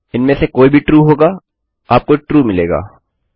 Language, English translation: Hindi, either of them are true, you will be left with true